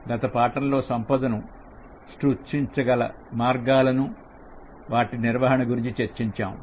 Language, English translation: Telugu, In the last lesson, we discussed about the ways in which you can create wealth and manage money